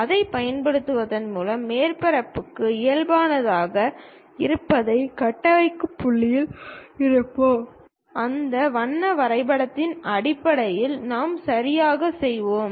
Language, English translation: Tamil, By using that, we will be in a position to construct what might be the normal to surface, based on that color mapping we will do right